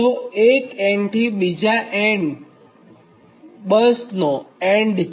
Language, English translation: Gujarati, one end to another end, one bus to another bus